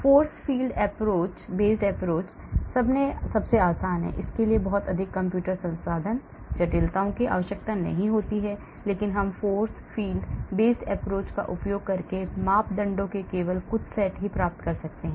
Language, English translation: Hindi, Force field based approach is the easiest one, it does not require too much computer resources, complexities, but we can get only some set of parameters using force field based approach